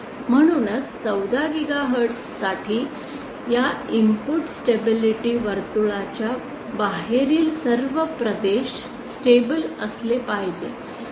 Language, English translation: Marathi, Hence for 14 gigahertz all regions outside this input stability circle that is all these regions must be stable